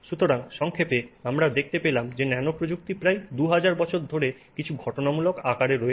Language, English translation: Bengali, So, in summary, we find that nanotechnology has been around in some incidental form for nearly 2000 years